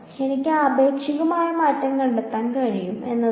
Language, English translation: Malayalam, What I can do is I can find out the relative change